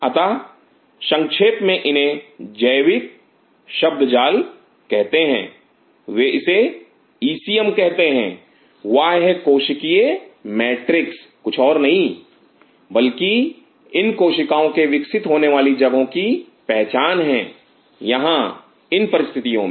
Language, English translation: Hindi, So, in short this is called and biological jargon they call it ECM extra cellular matrix is nothing, but identification of that location these cells grows here under these conditions